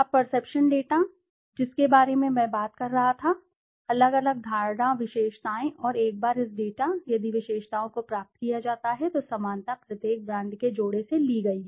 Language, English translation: Hindi, Now perception data, this is what I was talking about, the different perception attributes and once this data, if attributes are obtained the similarity measure is derived from each pair of brands